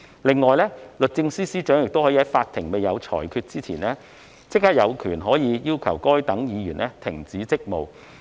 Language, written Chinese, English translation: Cantonese, 另外，律政司司長可在法庭有裁決前，有權要求該等議員停止職務。, Furthermore the Secretary for Justice is empowered to apply for the suspension of his duties before a judgment is made by the court